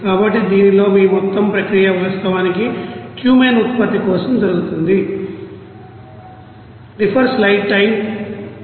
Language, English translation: Telugu, So, in this your whole process is actually going on for the production of Cumene